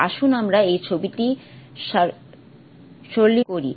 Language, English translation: Bengali, Let us simplify this picture